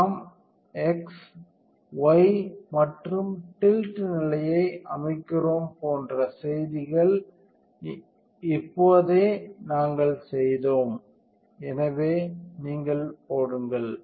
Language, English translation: Tamil, And some messages like the do we set the x, y and tilt position now we did that, so you put